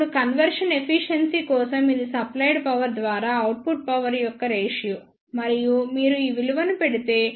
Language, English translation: Telugu, Now, for the conversion efficiency it is the ratio of the output power by the supplied power and if you put these values the ratio will come out to be pi by 4